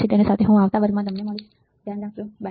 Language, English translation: Gujarati, With that I will see you in the next class till then you take care, bye